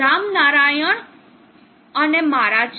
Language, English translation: Gujarati, Ramnarayanan and myself